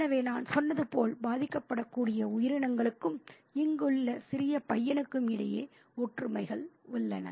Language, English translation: Tamil, So, as I said, there are parallels between vulnerable creatures and the small boy here